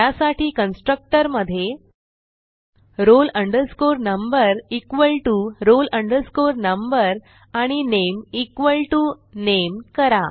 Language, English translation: Marathi, So inside the constructor we have: roll number equal to roll number and name equal to name